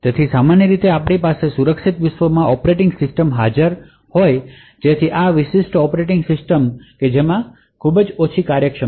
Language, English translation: Gujarati, So, typically we would have operating system present in the secure world so this are specialized operating systems which have very minimal functionality